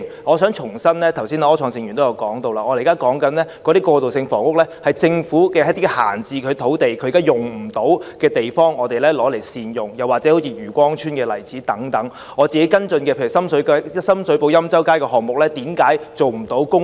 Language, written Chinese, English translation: Cantonese, 我想重申，正如剛才柯創盛議員也提到，我們現時所說的過渡性房屋，是將政府一些閒置土地、用不到的地方加以善用，好像漁光邨等例子；又例如我跟進的深水埗欽州街項目，為何不能用作公屋呢？, I wish to reiterate one point . As also mentioned by Mr Wilson OR just now the transitional housing we now talk about concerns the effective use of certain idle government sites or places currently not in use such as Yue Kwong Chuen . Another example is the Yen Chow Street project in Sham Shui Po which I have been following up